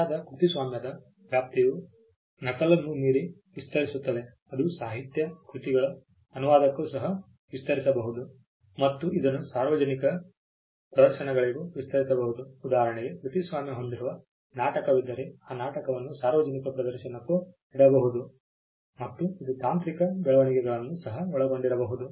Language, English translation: Kannada, Scope of the right copyright extends beyond mere copy it can extend to translation of literary works, it can extend to public performances for instance there is a play a copyrighted play the public performance of the play could also be covered, it could also cover technological developments